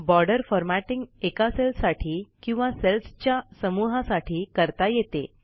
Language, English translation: Marathi, Formatting of borders can be done on a particular cell or a block of cells